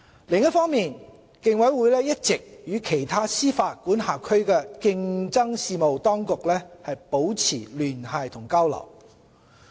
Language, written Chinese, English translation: Cantonese, 另一方面，競委會一直與其他司法管轄區的競爭事務當局保持聯繫和交流。, The Commission maintains liaison and exchanges with competition authorities in other jurisdictions